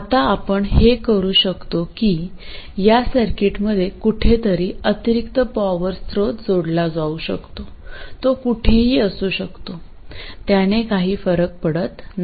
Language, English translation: Marathi, Now what we can do is to add an additional source of power to this circuit somewhere, okay, it can be anywhere, it doesn't matter, the same arguments will apply